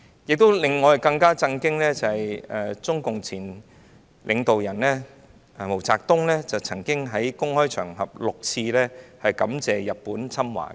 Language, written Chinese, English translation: Cantonese, 不過，令我們更震驚的是，中共前領導人毛澤東曾經先後6次在公開場合感謝日本侵華。, However what is even more shocking is that MAO Zedong former CPC leader had openly expressed gratitude for Japans invasion for six times